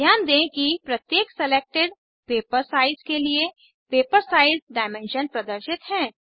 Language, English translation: Hindi, Note that paper size dimensions are displayed for every selected paper size